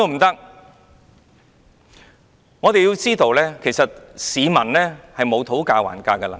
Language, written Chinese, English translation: Cantonese, 大家要知道，市民沒有討價還價的能力。, We should note that members of the public do not have any bargaining power